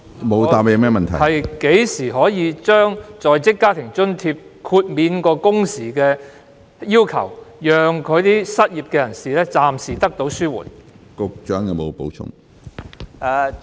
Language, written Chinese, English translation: Cantonese, 我剛才問局長，何時可以豁免在職家庭津貼的工時要求，以紓緩失業人士的經濟壓力？, My question for the Secretary is When can the working hour requirements for WFA be waived so as to ease the financial pressure of the unemployed?